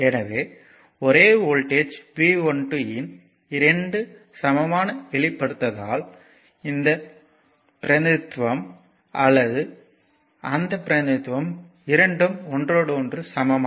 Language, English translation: Tamil, So, 2 equivalent representation of the same voltage V 1 2 either this representation or that representation both are equivalent to each other right